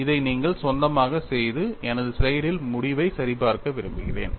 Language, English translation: Tamil, It is not difficult, I want you to do it on your own, and then verify the result from my slide